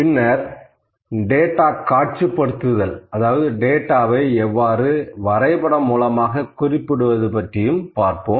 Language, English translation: Tamil, Then we will talk something about the data visualisation, how to graphically represent the data